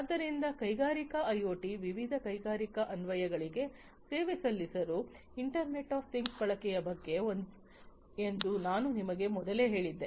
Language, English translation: Kannada, So, as I told you at the outset that Industrial IoT is about the use of Internet of Things for serving different industrial applications